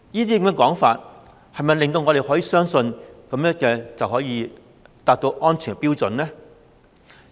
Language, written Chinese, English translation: Cantonese, 這些說話能否令我們相信這樣便可以達到安全標準？, Can such remarks convince us that the safety standard can thus be reached?